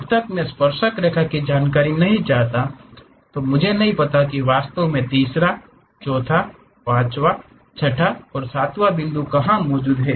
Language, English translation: Hindi, Unless I know the tangent information I do not know where exactly the third, fourth, fifth, sixth, seventh points are present